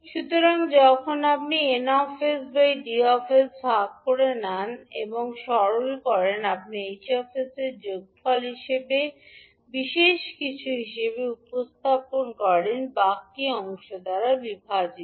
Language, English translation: Bengali, So when you divide d s by n s and you simplify you can represent h s as sum special plus some residual divided by denominator